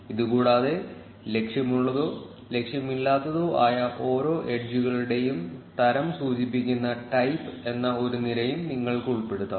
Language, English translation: Malayalam, In addition, you can also include a column called type indicating the type of each edge that is directed or undirected